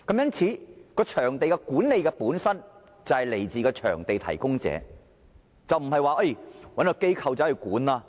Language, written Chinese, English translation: Cantonese, 因此，場地管理本身便是來自場地提供者，並非只是找一間機構來管理。, Hence the venue should be managed by the venue providers but not by some designated organizations